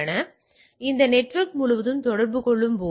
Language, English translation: Tamil, Now, so, while communicating across the network